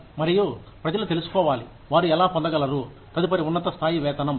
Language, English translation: Telugu, And, people should know, how they can get, the next higher level of pay